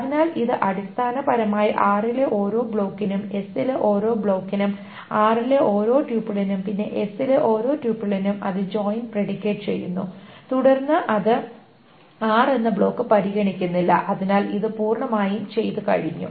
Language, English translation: Malayalam, So it essentially for each block in R and each block in S, for each tuple in R and then each tuple in S, it does the joint predicate and then it throws away the block R because it is done completely